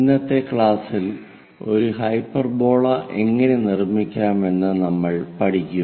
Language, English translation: Malayalam, In today's class, we will learn about how to construct a hyperbola